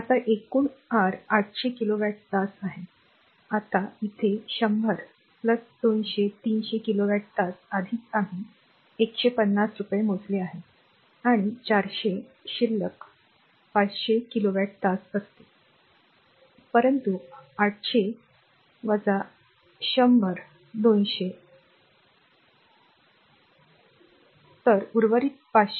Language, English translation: Marathi, Now, totally is your 800 kilowatt hour, now here it is 100 plus, 200, 300 kilowatt hour already we have computed rupees 150 and 400 remaining will be 500 kilowatt hour , but the 800 minus 100 minus 200 so, remaining 500